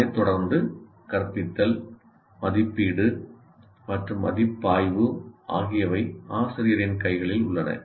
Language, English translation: Tamil, But subsequently, instruction, assessment and evaluation are in the hands of the teacher